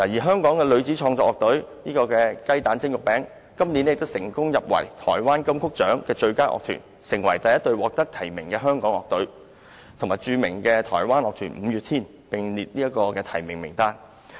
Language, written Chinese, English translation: Cantonese, 香港女子創作樂隊"雞蛋蒸肉餅"，去年成功入圍台灣金曲獎最佳樂團，成為首隊獲提名的香港樂隊，與著名台灣樂團"五月天"並列提名名單。, GDJYB an all - female creative band in Hong Kong was shortlisted for Taiwans Golden Melody Award for Best Musical Group last year . Being the first Hong Kong band nominated for the award it was put on the list of nominees together with Mayday a famous Taiwanese band